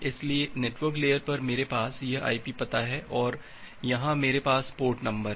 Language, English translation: Hindi, So, at the network layer I have this IP address and here I have the port number